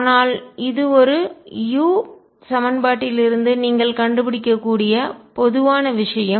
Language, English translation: Tamil, But this is general thing that you can find out from a u equation